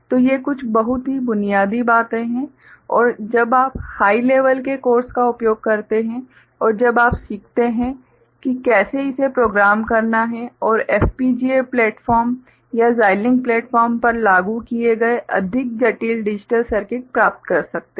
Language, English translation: Hindi, So, these are some very basic things and more when you use them in higher level course and when you learn how to program it and get more complex digital circuit implemented on FPGA platform or Xilinx platform